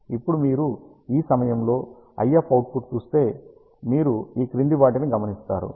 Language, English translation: Telugu, Now, if you see the IF output at this point, you observe the following